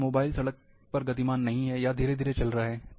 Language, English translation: Hindi, If suppose, along a road, the mobiles are not moving, or moving slowly